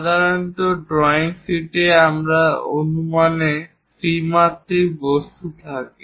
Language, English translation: Bengali, Typically drawing sheets contain the three dimensional objects on their projections